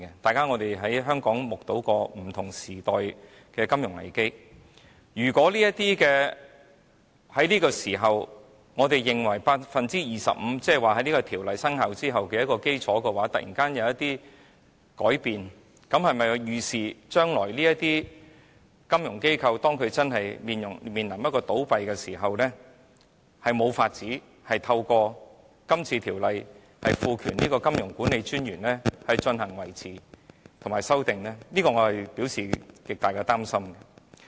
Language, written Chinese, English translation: Cantonese, 大家在香港也曾目睹不同時代的金融危機，如果我們在這個時候訂明為 25%， 而在這條例生效後的基礎突然有所改變，這是否可以預視將來當這些金融機構真的面臨倒閉時，便無法透過《條例草案》賦權金融管理專員維持或修訂恢復計劃，我對此表示極大的擔心。, We in Hong Kong have witnessed at different times the havoc wrought by a financial crisis . If we stipulate a threshold of 25 % now and in the event of sudden changes in the capital base after the enactment of the Bill can it not be envisaged that when these financial institutions are really about to fail it would be impossible for powers to be conferred by the Bill on MA to maintain or revise a recovery plan? . I feel gravely concerned about this